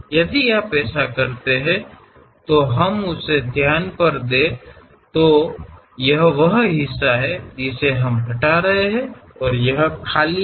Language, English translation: Hindi, If you do that, let us look at that; this is the part what we are removing and this is completely empty